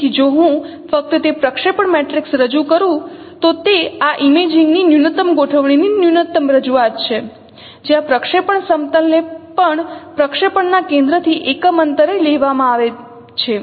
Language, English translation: Gujarati, So if I use only that projection matrix representation, then that is the minimal representation of this, uh, uh, minimal configuration of this imaging where projection plane is also taken as a unit distance from the center of projection